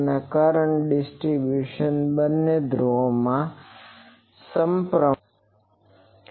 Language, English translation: Gujarati, And the current distribution is symmetric in both the poles